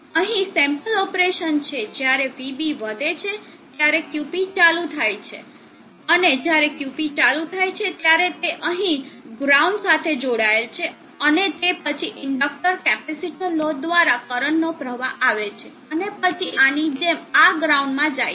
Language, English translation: Gujarati, So operation sample when VB goes high QP turns on, so when QP turns on this is connected to the ground here and then there is a flow of current through the inductor, capacitor load, and then through this into this ground like this